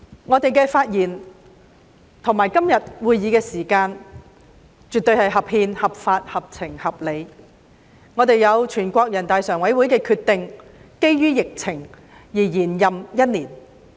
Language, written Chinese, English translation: Cantonese, 我們的發言和今天這個會議絕對是合憲、合法、合情、合理的，我們得到全國人民代表大會常務委員會因應疫情而作出的決定，獲延任一年。, Our speeches and todays meeting are absolutely constitutional lawful sensible and justifiable . According to the decision made by the Standing Committee of the National Peoples Congress in the light of the pandemic our term will extend for one year